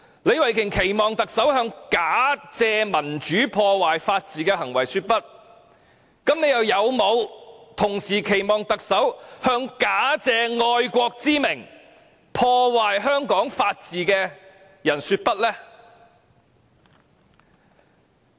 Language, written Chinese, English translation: Cantonese, 李慧琼議員期望特首向假借民主之名，破壞法治的行為說不；那麼，又有沒有期望特首向假借愛國之名，破壞香港法治的人說不呢？, While Ms Starry LEE would like the Chief Executive to say no to behaviours that destroy the rule of law under the pretence of democracy does she also expect the Chief Executive to say no to people who destroy the rule of law in Hong Kong under the pretence of patriotism?